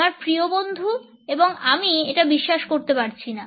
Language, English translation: Bengali, My best friend I cannot believe this